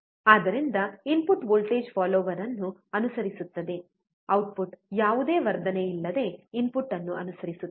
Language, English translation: Kannada, So, output will follow the input voltage follower, output will follow the input without any amplification